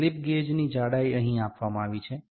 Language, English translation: Gujarati, The height of the slip gauge is given here